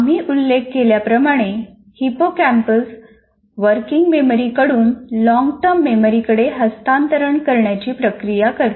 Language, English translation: Marathi, Anyway, that is incidentally, we mentioned that hippocampus is the one that processes from working memory, transfers it to the long term memory